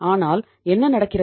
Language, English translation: Tamil, But what is happening